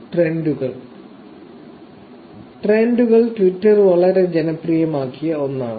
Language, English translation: Malayalam, So, trends; trends is something that Twitter made very popular